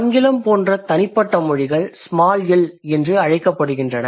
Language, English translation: Tamil, Individual languages like English, that's a small L